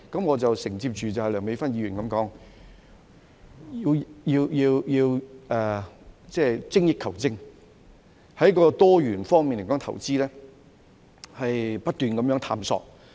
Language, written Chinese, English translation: Cantonese, 我承接梁美芬議員所說，要精益求精，在多元方面來說投資，不斷探索。, Let me pick up on Dr Priscilla LEUNGs point . We should strive for excellence invest in diversified areas and keep exploring